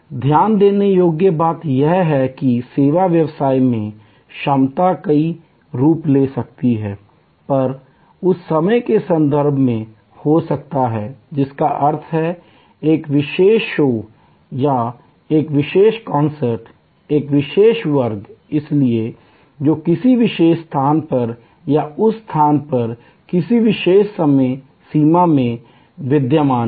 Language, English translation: Hindi, Important point to note that the capacity can take several forms in the service business, it could be in terms of time that means, a particular show or a particular concert, a particular class, so which is existing in a particular time frame at a particular space or in the same space